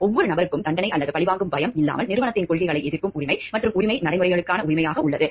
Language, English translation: Tamil, Every person has the right to object to company’s policies without the fear of getting punished or retribution and the right to due process